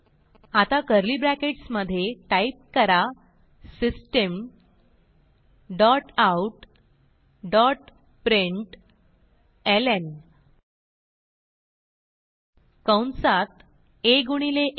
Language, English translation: Marathi, Now within curly brackets type, System dot out dot println within parentheses a into a